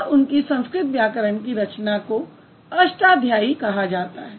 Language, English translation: Hindi, And his Sanskrit text, like his Sanskrit grammar, which is known as a Shadhyay